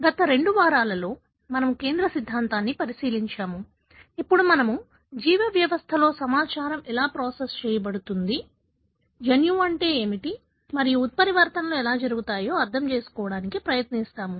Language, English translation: Telugu, In the last two weeks, we have looked into the central dogma; how the information is processed within our biological system, then we try to understand what is the gene and how the mutations do happen